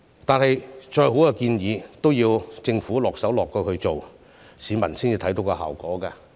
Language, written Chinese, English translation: Cantonese, 但是，再好的建議都要政府落實施行，市民才能看見效果。, However no matter how good the proposals are the Government must implement them before the public can see the effect